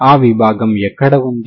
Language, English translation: Telugu, Where is that domain